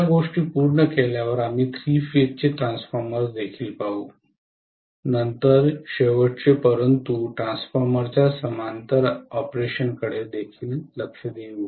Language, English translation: Marathi, After finishing with these things, we will also look at three phase transformers, then last but not the least will look at parallel operation of transformers